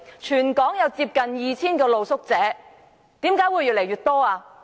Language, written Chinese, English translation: Cantonese, 全港有近 2,000 名露宿者，為甚麼露宿者會越來越多？, There are close to 2 000 street sleepers in Hong Kong . Why is the number on the increase?